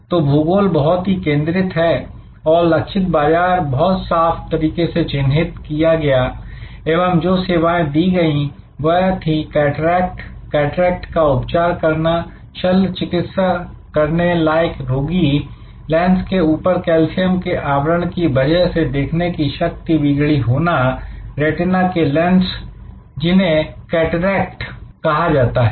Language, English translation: Hindi, So, geography was very focused, the target market was very clearly identified and the service offered was cataract, treating cataract, operating on patients, impaired with impaired vision due to calcification of their lenses, retinal lenses called cataract